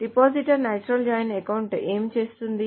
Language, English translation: Telugu, So what does the depositor natural joint account does